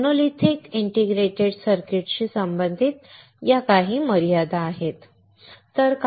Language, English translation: Marathi, So, there are certain limitations associated with monolithic integrated circuits